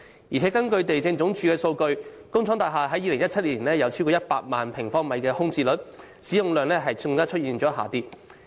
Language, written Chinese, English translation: Cantonese, 此外，根據地政總署數據，工廠大廈在2017年有超過100萬平方米的空置率，使用量更出現下跌。, Moreover according to the Lands Department the vacancy rate of industrial buildings had exceeded 1 million sq m in 2017 and the utilization rate was falling